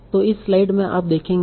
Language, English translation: Hindi, So in this slide you will see